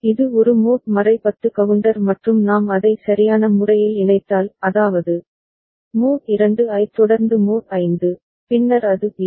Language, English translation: Tamil, It is a mod 10 counter and if we connect it appropriately; that means, mod 2 followed by mod 5, then it acts like a BCD counter